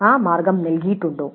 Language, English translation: Malayalam, Was that option given